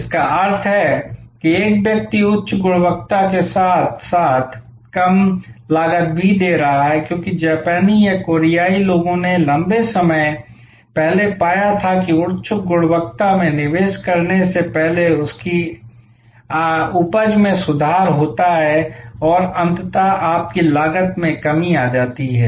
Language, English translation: Hindi, Which means, a person is giving high quality as well as low cost, because the Japanese or the Koreans they found long time back that investing in high quality improves your yield ultimately brings down your cost